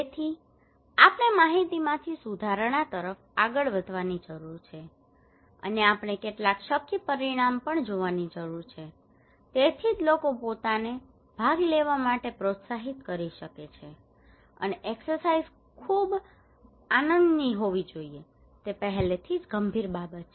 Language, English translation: Gujarati, So we need to move from information to improvement and we need to also see some feasible outcome, that is why people can motivate themselves to participate, and the exercise should be a lot of fun it is already a serious matter